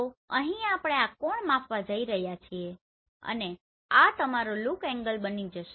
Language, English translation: Gujarati, So here we are going to measure this angle and this will become your look angle